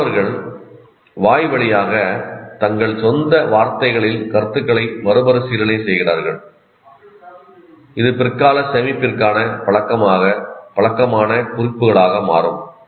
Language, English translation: Tamil, Students orally restate ideas in their own words, which then become familiar cues to later storage